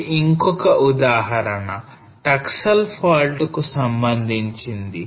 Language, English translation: Telugu, So this one is another example of the Taksal fault